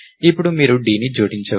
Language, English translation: Telugu, Now, you can append d